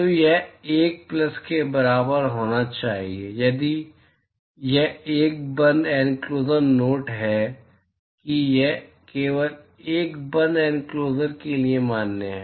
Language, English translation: Hindi, So, this should be equal to 1 plus if it is a closed enclosure note that this is valid only for a closed enclosure